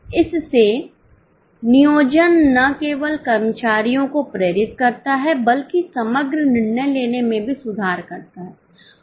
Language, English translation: Hindi, So, planning not only motivates the employees, it also improves overall decision making